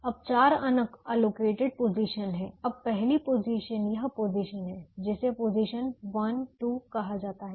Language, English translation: Hindi, there are four unallocated positions now the the first position is this position, which is called position one two is called position one two